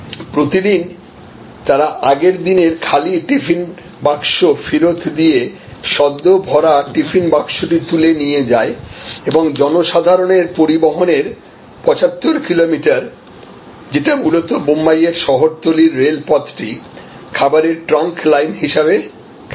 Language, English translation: Bengali, And every day, they deliver the previous day’s empty tiffin box and pick up the freshly loaded tiffin box, 75 kilometers of public transport mainly the suburban railway system of Bombay, almost acts as a food trunk line